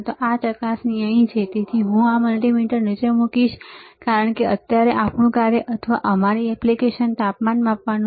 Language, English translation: Gujarati, And this probe is here so, I will put this multimeter down because right now our function or our application is to measure the temperature